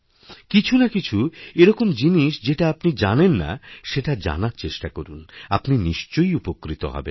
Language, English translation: Bengali, Try to know about things about which you have no prior knowledge, it will definitely benefit you